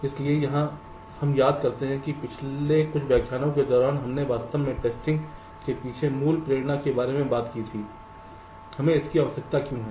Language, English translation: Hindi, so we recall, during the last few lectures we actually talked about the basic motivation behind testing: why do we need it